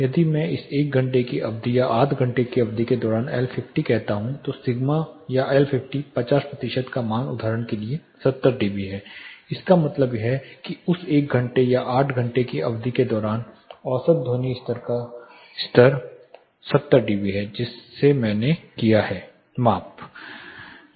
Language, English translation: Hindi, If I say L50 during this 1 hour duration or 8 hour duration the sigma or L50, 50 percentile values say 70 dB it means the average sound pressure level is 70 dB during that 1 hour or 8 hour duration in which I have taken the measurement